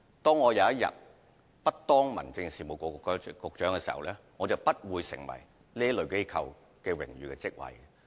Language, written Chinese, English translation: Cantonese, 當有一天我不再是民政事務局局長，我便不會再擔任這類機構的榮譽職位。, One day when I am no longer the Secretary for Home Affairs I will be removed from those honorary posts